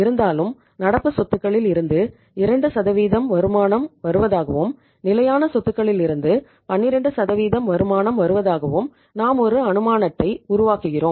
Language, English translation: Tamil, Now let us take this assumption that company earns 2% on the current assets and company earns 12% on the fixed assets right